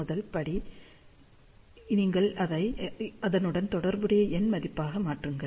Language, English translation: Tamil, So, the first step is you convert that to its corresponding numeric value